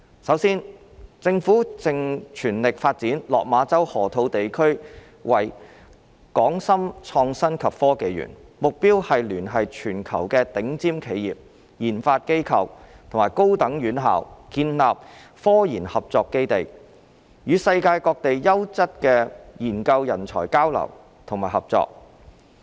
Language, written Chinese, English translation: Cantonese, 首先，政府正全力發展落馬洲河套地區為港深創新及科技園，目標是聯繫全球頂尖企業、研發機構和高等院校建立科研合作基地，與世界各地優質的研究人才交流和合作。, First of all the Government is taking forward the development of the Hong Kong - Shenzhen Innovation and Technology Park HSITP located in the Lok Ma Chau Loop the Loop in full swing . HSITP is aimed to establish a key base for cooperation in scientific research through converging the worlds top - tier enterprises RD institutions and higher education institutions for exchange and collaboration with excellent research talent all over the world